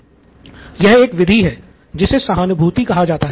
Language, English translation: Hindi, This is a method called empathise